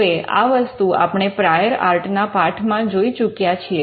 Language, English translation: Gujarati, Now this is something which we have covered in the lesson on prior art